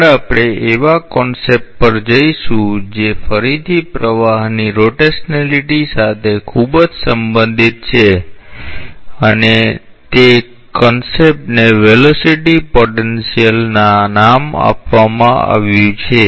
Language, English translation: Gujarati, Next, we will go to concept that is very much related to the rotationality the flow again and that concept is given by the name of velocity potential